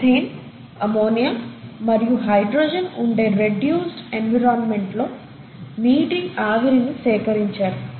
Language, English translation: Telugu, They collected the water vapour under a very reduced environment consisting of methane, ammonia and hydrogen